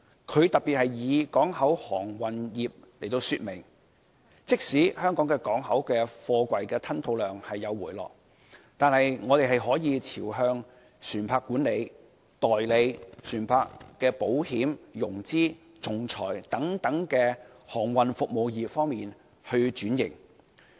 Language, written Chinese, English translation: Cantonese, 他特別以港口航運業來說明，即使香港港口的貨櫃吞吐量有所回落，但我們是可以朝着發展船舶管理、代理船舶保險、融資、仲裁等航運服務業方面轉型。, Citing the port and shipping industry for illustration he said that though container throughput in Hong Kong had dropped we could seek transformation by developing such shipping services as ship management ship insurance financing and arbitration